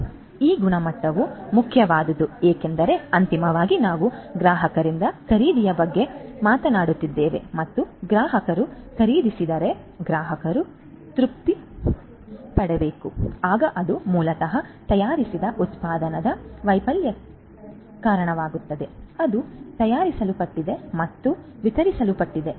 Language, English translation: Kannada, So, this quality is important because ultimately we are talking about purchase by the customers and if the customers purchase, but then the customers are not satisfied, then that basically results in the failure of the product that is made that is manufactured and is delivered